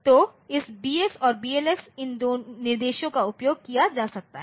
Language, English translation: Hindi, So, this BX and BLX these instructions can be used